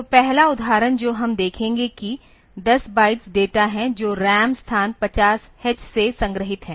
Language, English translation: Hindi, So, first example that we will look into is the like this that we assume that there are 10 bytes of data that are stored from RAM location 50 h